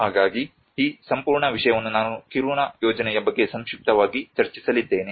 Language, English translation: Kannada, So this whole thing I am going to discuss briefly about the Kiruna project